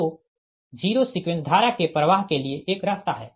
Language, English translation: Hindi, so there is a path for zero sequence current to flow